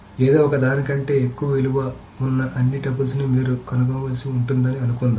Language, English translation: Telugu, , suppose we need to find all tuples whose value is greater than something, etc